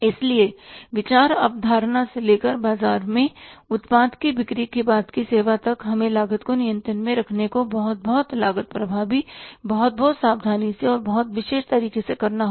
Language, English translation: Hindi, So, right from the idea conception till the after sales service of the product in the market, we have to be very, very cost effective, very, very careful and very particular to keep the cost under control